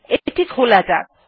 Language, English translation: Bengali, Lets open it